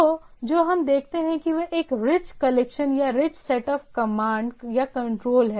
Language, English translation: Hindi, So what we see, it is a rich collection or rich set of commands or control is there